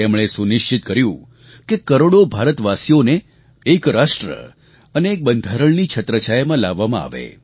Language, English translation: Gujarati, He ensured that millions of Indians were brought under the ambit of one nation & one constitution